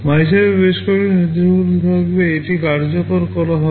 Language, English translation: Bengali, In MYSUB, there will be several instructions, it will execute